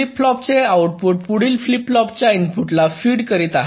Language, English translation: Marathi, the output of a flip flop is fed to the clock input of the next flip flop